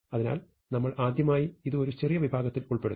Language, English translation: Malayalam, So, first time I have to insert it in a smaller segment